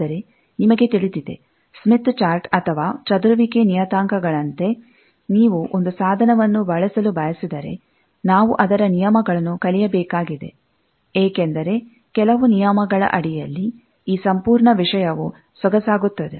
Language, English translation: Kannada, But, you know that, as in case of Smith chart, or scattering parameters, we have seen that, if you want to use a tool, we need to learn its rules, because, under certain rules, this whole thing becomes elegant